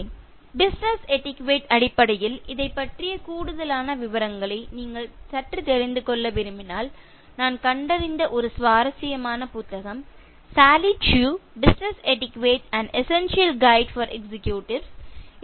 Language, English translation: Tamil, (Refer Slide time: 30:33) If you want to slightly know more details about this, in terms of business etiquette, one interesting book that I found is: Sally Chew, Business Etiquette: An Essential Guide for Executives